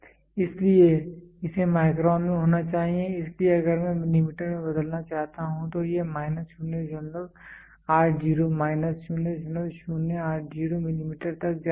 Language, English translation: Hindi, So, no it is microns it has to be in microns, so if I want to convert into millimeter it is going to minus 0